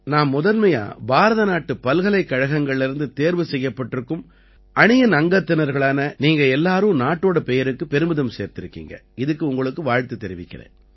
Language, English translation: Tamil, First of all, I congratulate the team selected from the universities of India… you people have brought glory to the name of India